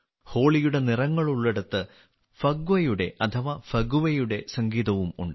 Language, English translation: Malayalam, Where there are colors of Holi, there is also the music of Phagwa that is Phagua